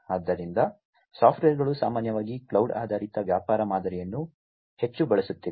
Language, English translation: Kannada, So, start startups typically are heavily using the cloud based business model